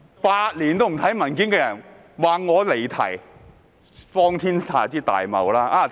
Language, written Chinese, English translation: Cantonese, 8年也不看文件的人竟說我離題，荒天下之大謬！, A person who has not read papers for eight years is now saying that I have digressed from the subject